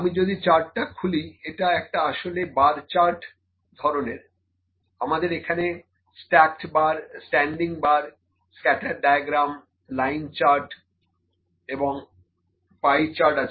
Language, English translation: Bengali, If I open the chart, this is actually kind of bar charts, we have stacked bar, the standing bars, we have scatter diagram here and line diagram pie chart, ok